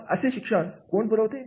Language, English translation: Marathi, Who provides education